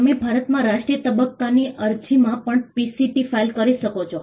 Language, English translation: Gujarati, You can also file a PCT in national phase application in India